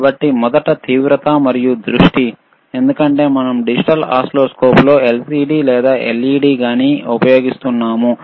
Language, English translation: Telugu, So, first is the intensity and focus right, because in that we have we are using in digital oscilloscope either LCD or LED